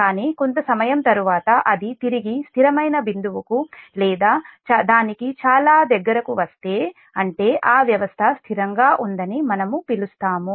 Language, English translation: Telugu, but after some time, if it returns very to the stable point or very close to that, that means we call that system is stable, right